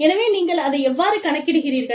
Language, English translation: Tamil, So, how do you, account for that